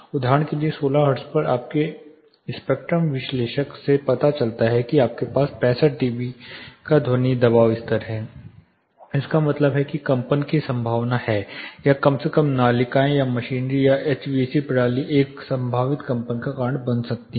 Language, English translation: Hindi, For example, at 16 hertz your spectrum analyzer shows that you have a sound pressure level of say 65 db it means there is a probability for vibration or at least the ducts or machinery HVAC system going to cause a probable vibration